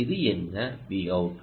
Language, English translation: Tamil, what is this